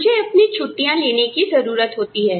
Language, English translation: Hindi, I need to have my vacation